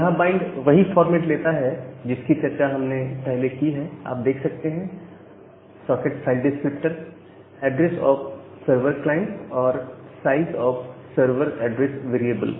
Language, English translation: Hindi, And the bind is taking the format as we have discussed earlier the socket file descriptor the address of the server and the size of the server address variable